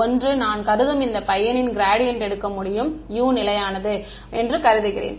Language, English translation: Tamil, One is that I can take a gradient of this guy where I assume U is constant